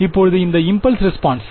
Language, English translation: Tamil, Now, this impulse response is